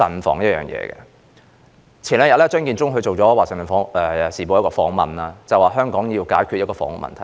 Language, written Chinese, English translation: Cantonese, 張建宗在數天前接受《環球時報》訪問，當中提到香港需要解決房屋問題。, In an interview with the Global Times a few days ago Matthew CHEUNG said that Hong Kong had to resolve its housing problems